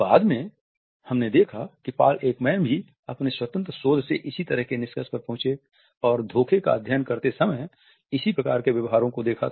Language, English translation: Hindi, Later on we find that Paul Ekman in his independent research also came to similar findings and observed similar behaviors while he was studying deception